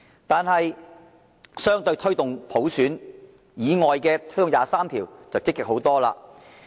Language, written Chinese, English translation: Cantonese, 但是，對於推動第二十三條立法，政府便積極很多。, However in taking forward the legislating for Article 23 of the Basic Law the Government takes a way more proactive attitude